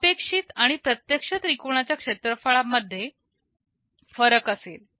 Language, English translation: Marathi, There will be a difference in the area of the expected and actual triangles